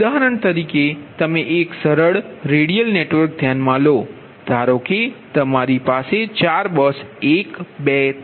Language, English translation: Gujarati, for example, you consider a simple redial network, that you have four: bus one, two, three, four